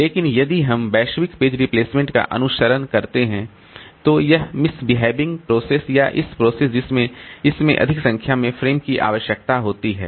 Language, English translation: Hindi, But if you are following the global page replacement, then this misbehaving process or this process which is requiring more number of frames in its locality